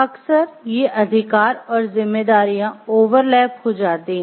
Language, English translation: Hindi, Often, these rights and responsibilities overlap